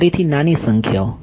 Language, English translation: Gujarati, Again small numbers right